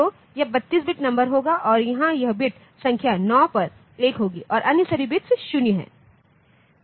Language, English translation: Hindi, So, this will be this is the 32 bit number and here this bit number 9 will be 1 and all other bits are 0